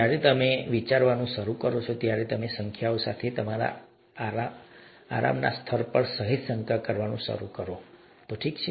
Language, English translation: Gujarati, When you start thinking about this, you start slightly doubting the level of comfort you have with numbers, okay